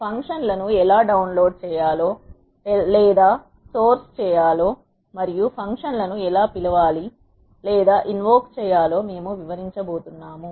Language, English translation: Telugu, We are going to explain how to load or source the functions and how to call or invoke the functions